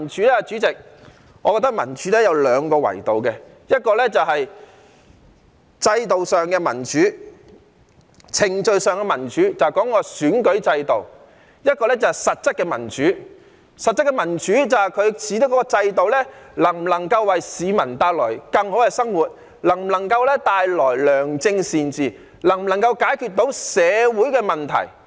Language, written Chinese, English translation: Cantonese, 代理主席，我覺得民主有兩個維度，一個是制度上、程序上的民主，這就是選舉制度；另一個是實質的民主，指制度能否為市民帶來更好的生活，能否帶來良政善治，能否解決社會問題。, Deputy President I think democracy encompasses two dimensions . One of them is institutional and procedural democracy which refers to the electoral system; the other is substantive democracy which refers to whether the system can bring about a better life to the people whether it can bring about good governance and whether it can solve social problems